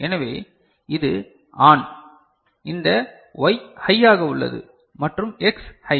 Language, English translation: Tamil, So, this is ON, this Y is high and X is high